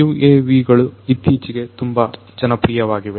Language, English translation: Kannada, So, UAVs have become very popular